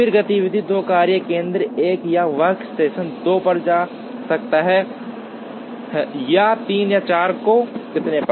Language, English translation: Hindi, Then activity 2 can go to workstation 1 or workstation 2 or 3 or 4 and so on